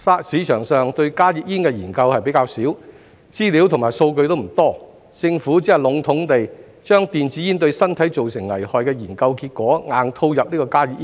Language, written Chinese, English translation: Cantonese, 市場上對加熱煙的研究較少，資料及數據並不多，政府只能籠統地把電子煙對身體造成危害的研究結果硬套入加熱煙。, With relatively few studies on HTPs in the market there is not much information and statistics . The Government can only rigidly apply the study findings on health hazards of e - cigarettes to HTPs in general